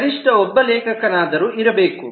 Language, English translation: Kannada, there must be one author at least